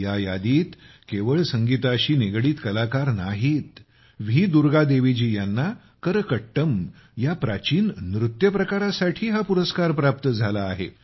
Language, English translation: Marathi, This list doesn't just pertain to music artistes V Durga Devi ji has won this award for 'Karakattam', an ancient dance form